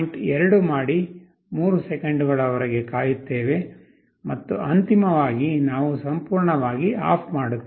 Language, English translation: Kannada, 2 wait for 3 seconds, and finally we turn OFF completely